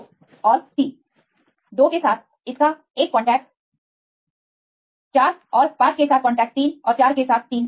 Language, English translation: Hindi, One its contact with 2 and 3, 2 is contact 3 and 4 right 3 with 4 and 5